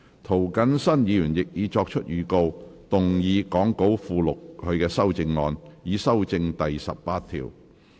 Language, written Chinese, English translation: Cantonese, 涂謹申議員亦已作出預告，動議講稿附錄他的修正案，以修正第18條。, Mr James TO has also given notice to move his amendment to amend clause 18 as set out in the Appendix to the Script